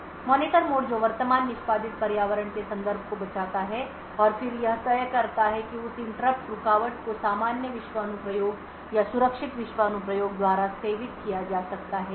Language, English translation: Hindi, The Monitor mode which saves the context of the current executing environment and then decide whether that interrupt can be should be serviced by a normal world application or a secure world application